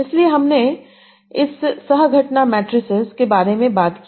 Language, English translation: Hindi, So we talked about these co prens matrices